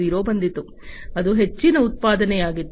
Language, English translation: Kannada, 0, which was about mass production